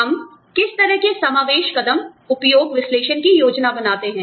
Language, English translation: Hindi, How do we plan for, inclusion steps, utilization analysis